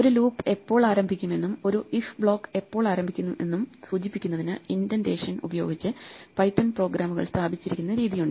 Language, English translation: Malayalam, The way in which Python programs are laid out with indentation to indicate when a loop begins and when an 'if' block begins